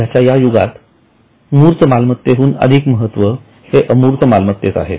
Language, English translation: Marathi, This is an era where intangible assets are becoming more important than tangible assets